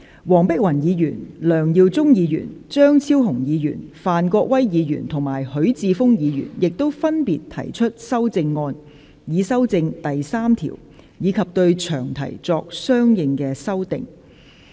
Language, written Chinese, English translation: Cantonese, 黃碧雲議員、梁耀忠議員、張超雄議員、范國威議員及許智峯議員亦分別提出修正案，以修正第3條，以及對詳題作相應修訂。, Dr Helena WONG Mr LEUNG Yiu - chung Dr Fernando CHEUNG Mr Gary FAN and Mr HUI Chi - fung have also respectively proposed amendments to amend clause 3 and the long title